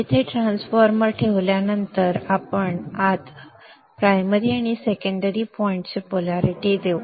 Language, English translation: Marathi, After having placed the transformer here, let us now assign the dot polarities to the primary and the secondary